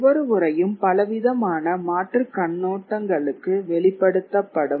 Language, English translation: Tamil, So each text gets exposed to a wider area of alternative viewpoints